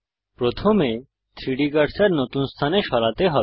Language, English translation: Bengali, First we need to move the 3D cursor to a new location